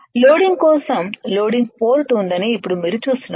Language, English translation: Telugu, Now you see there is a loading port for loading